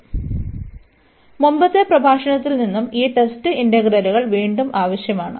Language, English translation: Malayalam, So, before that we also need these test integrals again from the previous lecture